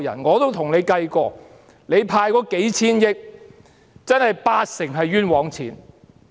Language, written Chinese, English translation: Cantonese, 我也跟政府計算過，派發的數千億元，八成是冤枉錢。, I have done a calculation for the Government . In its expenditure of a few hundred billion dollars 80 % of it should not have been spent